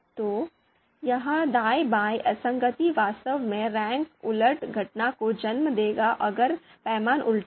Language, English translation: Hindi, So this right left inconsistency will actually lead to rank reversal phenomenon if the scale is inverted